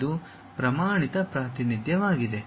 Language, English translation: Kannada, This is the standard representation